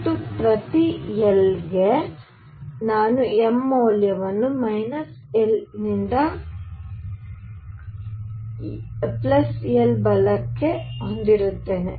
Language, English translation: Kannada, And for each l for each l, I will have m values which are from minus l to l right